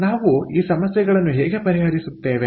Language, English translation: Kannada, so if we are given this problem, how do we solve